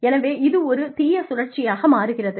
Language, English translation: Tamil, So, it becomes a vicious cycle